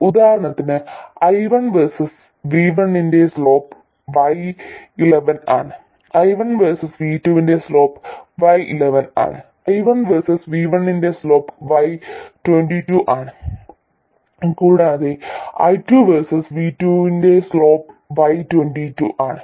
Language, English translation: Malayalam, For instance the slope of I1 versus V1 is Y1, slope of I1 versus v2 is y12, slope of y2 versus v1 is y2, slope of y2 versus v1 is y2 and slope of y2 versus v2 is y22 2